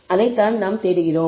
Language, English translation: Tamil, That is what you are looking for